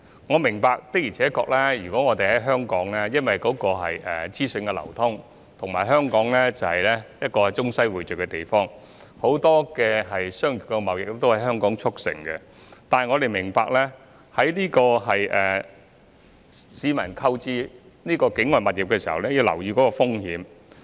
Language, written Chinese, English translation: Cantonese, 我明白，的而且確，由於香港資訊流通，而且是一個中西匯聚的地方，很多商業貿易也能夠在香港促成；但我們必須明白，市民在購買境外物業時須留意有關風險。, I understand that indeed thanks to the flow of information in Hong Kong and as Hong Kong is also a melting pot of the east and the west many business and trade transactions can be concluded in Hong Kong . But we must understand that in purchasing properties situated outside Hong Kong the public must pay attention to the risks involved